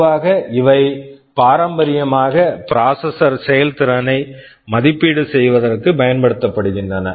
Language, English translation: Tamil, Normally, these are traditionally used for evaluating processor performances